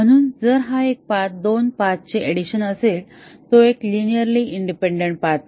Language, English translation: Marathi, So, if one path is a linear addition is addition of two paths then that is not a linearly independent path